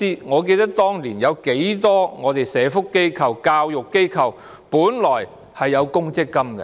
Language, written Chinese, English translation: Cantonese, 我記得，當年很多社福機構和教育機構本來實行公積金計劃。, I remember that at the time many social welfare organizations and educational institutions originally maintain pension schemes